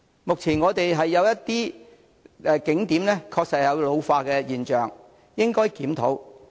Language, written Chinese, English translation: Cantonese, 目前，我們的一些景點確實有老化跡象，應予檢討。, At present some of our tourist attractions are indeed showing signs of ageing and this should be reviewed